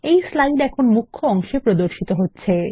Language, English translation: Bengali, This slide is now displayed on the Main pane